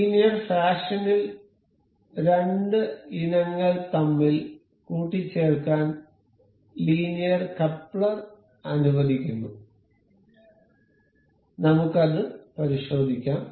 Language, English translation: Malayalam, So, linear coupler allows a coupling between two items in an linear fashion; we will check that